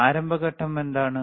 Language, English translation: Malayalam, What is the start phase